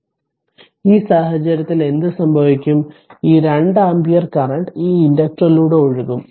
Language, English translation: Malayalam, So, what will happen in that case this 2 ampere current will flow through this inductor